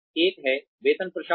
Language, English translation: Hindi, One is salary administration